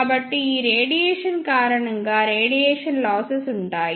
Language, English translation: Telugu, So, because of this radiation, there will be radiation losses